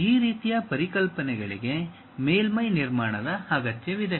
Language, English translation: Kannada, This kind of concepts requires surface construction